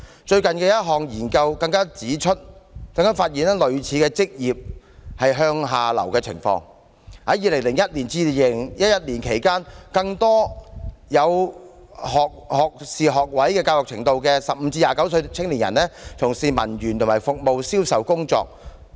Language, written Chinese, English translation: Cantonese, 最近的一項研究亦發現類似的職業向下流動情況，在2001至2011年期間，更多具有學位教育程度的15至29歲青年從事文員及服務/銷售工作。, A similar downward occupational mobility was observed from a recent study showing that youths aged 15 - 29 with degree education were increasingly driven to clerical and servicesales jobs during 2001 - 2011